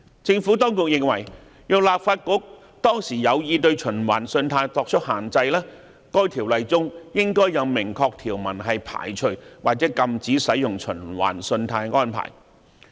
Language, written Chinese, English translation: Cantonese, 政府當局認為，若立法局當時有意對循環信貸作出限制，該《條例》中應該有明確條文排除或禁止使用循環信貸安排。, The Administration contends that had it been the intention of the Legislative Council to impose such restrictions on revolving credit there should be express references in the Ordinance carving out or prohibiting revolving credit facility